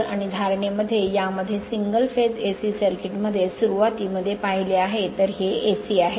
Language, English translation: Marathi, So, and philosophy by in this in single phase AC circuit in the beginning we have seen, so this is AC